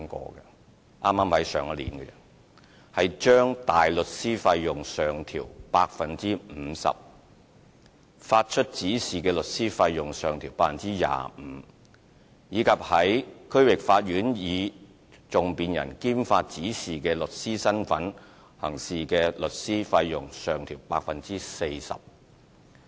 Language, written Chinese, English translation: Cantonese, 剛剛在上一年，亦將大律師費用上調 50%， 發出指示的律師費用上調 25%， 以及在區域法院以訟辯人兼發出指示的律師身分行事的律師費用上調 40%。, Last year we have made a 50 % increase to the criminal legal aid fees for counsel a 25 % increase for instructing solicitors and a 40 % increase for solicitors acting as both advocate and instructing solicitor in the District Court